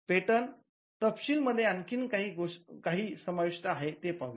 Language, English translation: Marathi, Now, let us see what else is contained in the patent specification